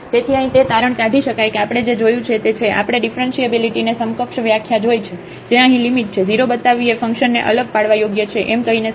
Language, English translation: Gujarati, So, the conclusion here, we have what we have seen, we have seen the differentiability an equivalent definition which is the limit here, showing to 0 is equivalent to saying that the function is differentiable